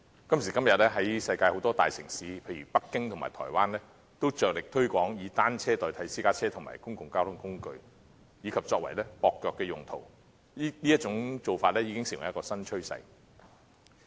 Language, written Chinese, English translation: Cantonese, 今時今日，在世界很多大城市，例如北京和台灣，均着力推廣以單車代替私家車和公共交通工具，以及作接駁用途，這已經成為新趨勢。, Nowadays it is already a new trend for many major cities in the world such as Beijing and Taiwan to make great efforts in promoting the replacement of private vehicles and other public modes of transport with bicycles as a means of connection transport